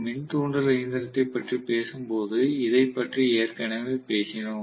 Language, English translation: Tamil, We already talked about this, when we were talking about the induction machine